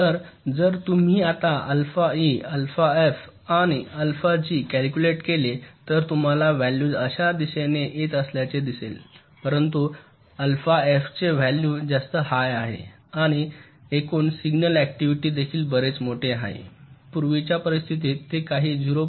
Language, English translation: Marathi, so if you calculate now alpha e, alpha f and alpha g, you will see the values are coming like this, but the value of alpha f is significantly higher, right, and the total signal activity is also much larger